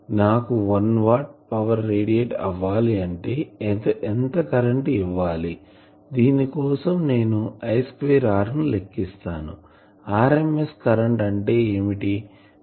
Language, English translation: Telugu, So, if I want to radiate 1 watt of power, how much current I will have to give the current, I will have to give if we calculate just by I square r so, what is the rms current, I will have to give 106